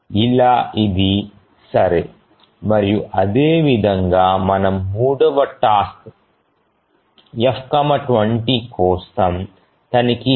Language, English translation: Telugu, So this is okay and similarly we check for the third task F comma 20